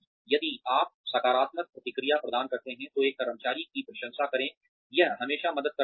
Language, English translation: Hindi, If you provide positive feedback, praise an employee, it always helps